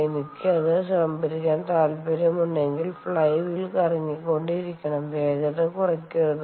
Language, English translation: Malayalam, if i want to store it, which means the flywheel has to keep rotating and not slow down